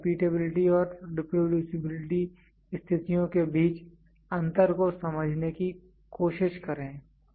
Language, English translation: Hindi, Please try to understand the difference between repeatability and reproducibility conditions